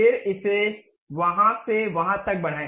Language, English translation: Hindi, Then extend it from there to there